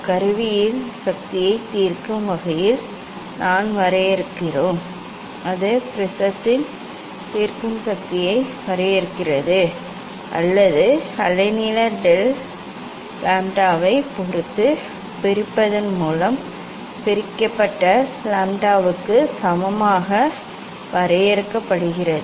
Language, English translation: Tamil, that we define in terms of resolving power of the instrument and that is defined resolving power of the prism or is defined equal to lambda divided by separation of depends of the wavelength del lambda